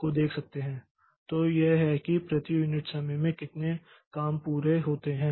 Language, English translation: Hindi, So, that is how many jobs are completed per unit time